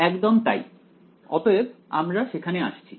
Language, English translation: Bengali, Exactly ok, so, we are coming exactly to that